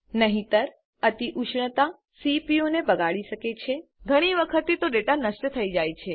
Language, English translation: Gujarati, Otherwise, overheating can cause damage to the CPU, often leading to data loss